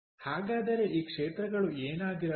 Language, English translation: Kannada, so what can be these sectors be